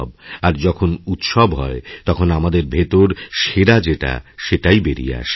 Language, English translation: Bengali, And when there is a festive mood of celebration, the best within us comes out